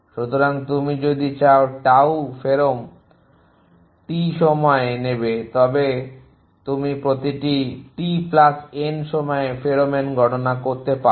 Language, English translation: Bengali, So, if you know the tau pherom1 on time t you can compute the pheromone at time T plus N after each